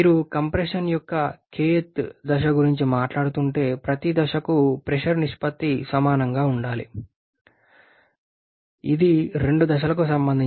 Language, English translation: Telugu, If you are talking about kth stage of compression, then the pressure ratio for each stage should be equal to P final by P initial to the power 1 by K